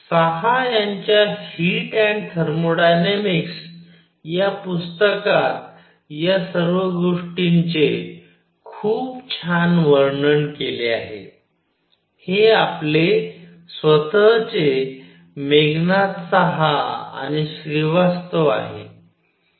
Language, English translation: Marathi, All this is very nicely described in book by book on Heat and Thermodynamics by Saha; this is our own Meghanath Saha and Srivastava